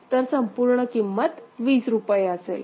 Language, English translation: Marathi, So, total value is rupees 20